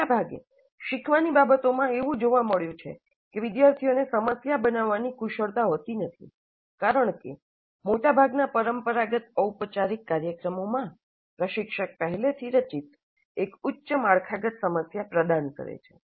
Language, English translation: Gujarati, In a majority of learning context, it has been observed that students do not have problem formulation skills because in most of the conventional formal programs, the instructor provides a highly structured problem already formulated